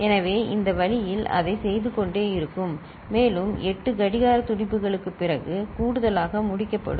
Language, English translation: Tamil, So, this way it will keep doing it and after 8 clock pulses, the addition will be completed